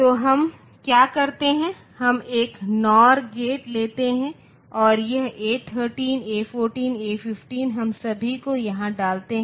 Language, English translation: Hindi, So, what we do, we take one nor gate and this A 13 A 14 and A 15 we put all of them here